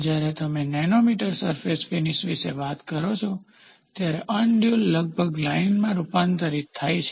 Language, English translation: Gujarati, When you talk about nanometer surface finish, the undulations are almost converted into a line